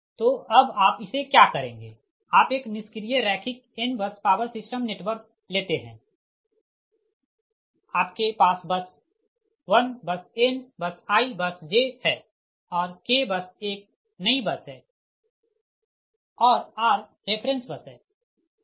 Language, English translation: Hindi, you take a passive linear n bus power system network, right, you have bus one bus, n bus, i bus, j and k bus is a new bus and r is the reference bus